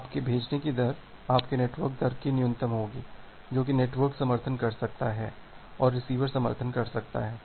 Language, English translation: Hindi, Now you are sending rate will be the minimum of your network rate, what the network can support and what the receiver can support